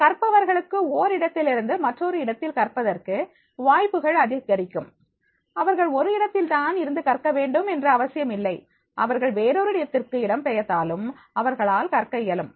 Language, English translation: Tamil, Learners have increasing, opportunities to take their learning from place to place, it is not necessary that is, they will be able to learn only from one place, if they are migrating to another place there also they will able to learn